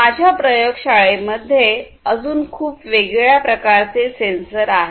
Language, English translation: Marathi, So, we have these different types of sensors